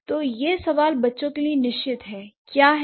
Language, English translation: Hindi, So the question here is, for sure the children have done it